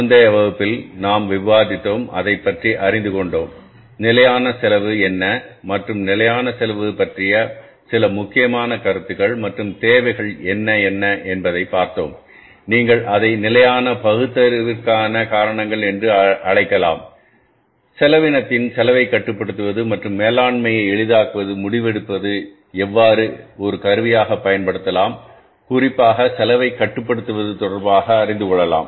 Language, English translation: Tamil, And in the previous class we discussed about, we learned about that what is the standard costing and some important concepts about the standard costing and what are the requirements, what are the say you can call it a reasons or rationale of standard costing, how it can be used as a tool of say controlling the cost and facilitating the management decision making especially with regard to the controlling of the cost